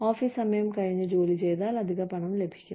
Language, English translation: Malayalam, You will work over, you know, after hours, you get extra money